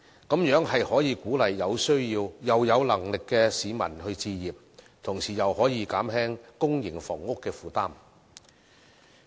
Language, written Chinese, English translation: Cantonese, 這樣便可以鼓勵有需要又有能力的市民置業，同時亦可以減輕公營房屋的負擔。, The scheme will encourage people who have the needs and means to purchase homes and at the same time alleviate the burden on public housing